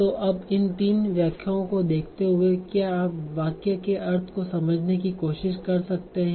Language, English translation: Hindi, So now given these three interpretations, so can you try to decipher the meaning of the sentence